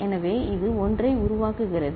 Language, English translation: Tamil, So, this is generating 1